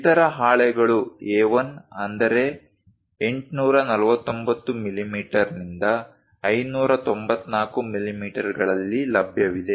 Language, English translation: Kannada, There are other sheets are also available A1 849 millimeters by 594 millimeters